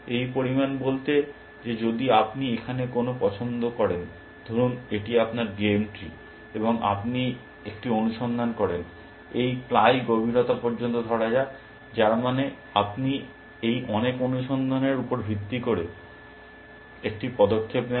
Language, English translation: Bengali, This amount to saying that if you make a choice here, let say this is your game tree, and you do a search, let say up to this ply depth, which means you make a move based on this much search